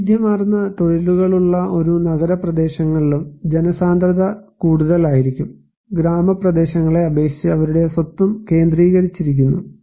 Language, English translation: Malayalam, And also in a city areas where diverse occupations are there, people are also densely populated so, their property is also concentrated compared to in the villages areas